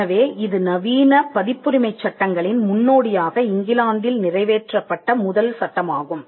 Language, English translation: Tamil, So, this was the first statute passed in England which was the precursor of modern copyright laws